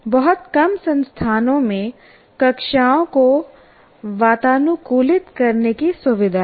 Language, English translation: Hindi, And very small number of institutions have the facility to air condition the classrooms